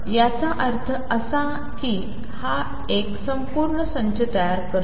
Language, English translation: Marathi, So, this means that this forms a complete set